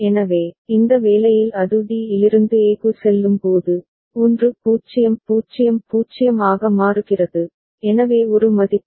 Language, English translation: Tamil, So, in this assignment when it is going from d to a, 1 0 is changing to 0 0, so one value